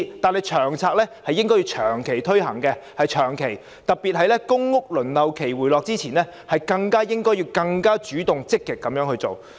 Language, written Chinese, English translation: Cantonese, 至於《長策》，政府應該長期推行，特別是在公屋輪候期回落之前，應更主動、積極地去做。, The Government should also implement LTHS on a long - term basis . It must be proactive as well as active particularly when the waiting time for PRH is still long